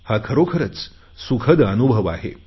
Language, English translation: Marathi, This is a wonderful experience